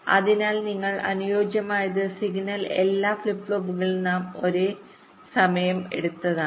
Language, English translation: Malayalam, so what you want ideally is that the signal should reach all flip flops all most at the same time